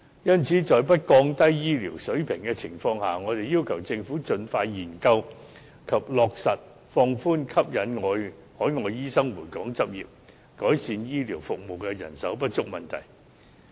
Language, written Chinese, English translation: Cantonese, 因此，在不降低醫療水平的情況下，我們要求政府盡快研究及落實放寬和吸引海外醫生回港執業，改善醫療服務的人手不足問題。, Therefore we request the Government to expeditiously study the relaxation of the relevant restrictions to induce overseas doctors to practise in Hong Kong without compromising the quality of medical services so as to alleviate medical manpower shortage